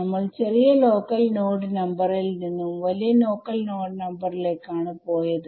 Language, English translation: Malayalam, No we were going from smaller local node number to larger local node number right